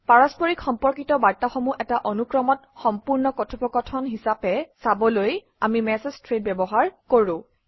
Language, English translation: Assamese, We use message threads to view related messages as one entire conversation, in a continuous flow